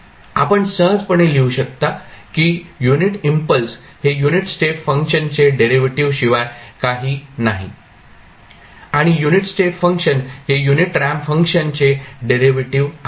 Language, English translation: Marathi, You can simply write that the delta t is nothing but derivative of unit step function and the unit step function is derivative of unit ramp function